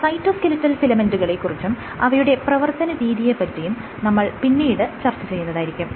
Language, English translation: Malayalam, So, we will briefly touch upon these cytoskeletal filaments and their dynamics later in the course